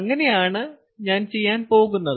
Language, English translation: Malayalam, so that is what i am going to do